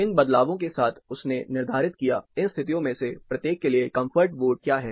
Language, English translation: Hindi, With these variations parametrically he determined; what is the comfort vote, for each of these set of conditions